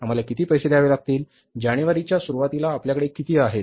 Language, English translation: Marathi, How much we have in the beginning of January